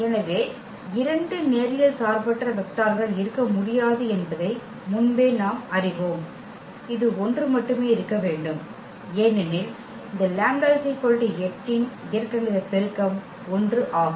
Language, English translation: Tamil, So, here we know though beforehand that this there will be there cannot be two linearly independent vectors, it has to be only one because the algebraic multiplicity of this lambda is equal to 8 is 1